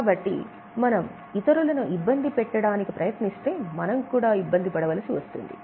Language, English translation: Telugu, If we try to disturb others, we also get disturbed